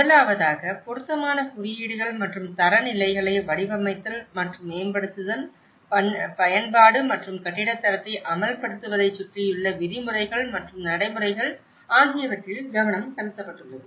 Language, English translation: Tamil, The first one has been focused on the designing and developing appropriate codes and standards, the regulations and practices surrounding the application and enforcement of the building standard